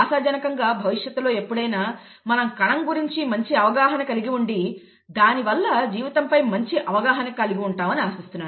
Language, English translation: Telugu, Hopefully sometime in the future we will have a better understanding of the cell and therefore a better understanding of life itself